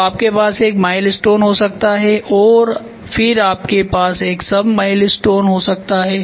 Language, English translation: Hindi, So, you can have milestone and then you can have sub milestone